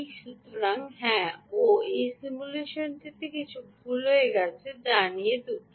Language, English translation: Bengali, so, yes, oh, something went wrong in this simulation here